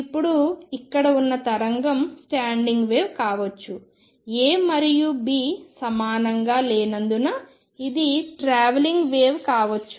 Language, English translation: Telugu, Now the wave out here is a standing wave or maybe slightly travelling because A and B are not equal